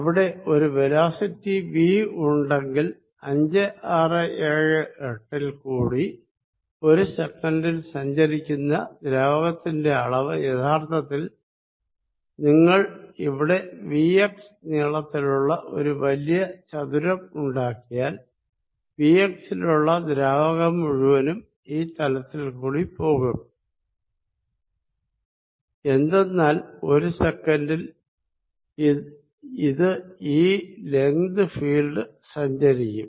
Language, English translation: Malayalam, If there is a velocity v, then fluid passing through 5, 6, 7, 8 per second will be really, if you make a big rectangle of length v x whatever the fluid is in this v x is going to pass through this surface, because in one second it will cover the length fields